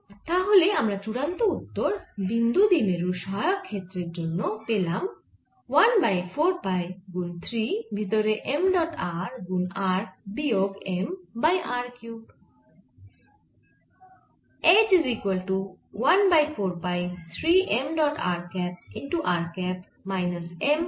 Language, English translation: Bengali, so my final expression for the auxiliary field of a point dipole is one over four pi three m dot r r minus m by r cube